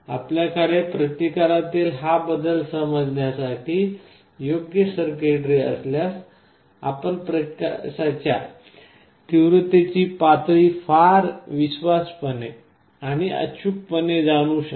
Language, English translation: Marathi, If you have a proper circuitry to sense this change in resistance, you can very faithfully and accurately sense the level of light intensity